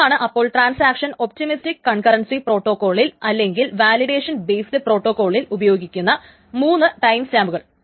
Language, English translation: Malayalam, So, these are the three timestamps that the transaction uses in this optimistic concurrency protocol or the validation based protocol